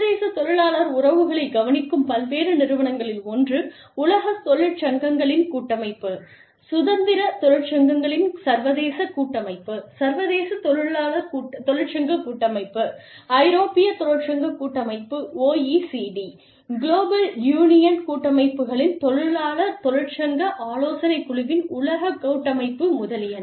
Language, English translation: Tamil, Various organizations, looking after the international labor relations are, one is the World Federation of Trade Unions, International Confederation of Free Trade Unions, International Trade Union Confederation, European Trade Union Confederation, World Confederation of Labor, Trade Union Advisory Committee of the OECD, Global Union Federations, etcetera